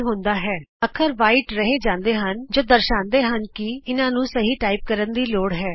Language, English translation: Punjabi, The characters remain white indicating that you need to type it correctly